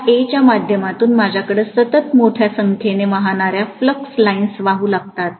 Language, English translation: Marathi, Through this A, continuously I will be having huge number of flux lines flowing